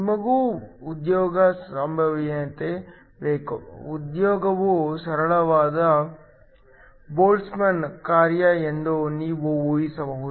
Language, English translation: Kannada, We also need the occupation probability; you can assume that the occupation is a simple Boltzmann function